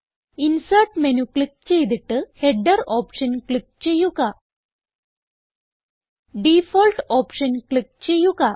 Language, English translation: Malayalam, Now click on the Insert menu and then click on the Header option